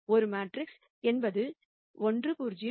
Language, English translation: Tamil, the A matrix is 1 0 2 0 3 1